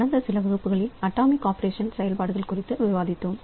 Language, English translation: Tamil, So, we have discussed about atomic operations in some classes earlier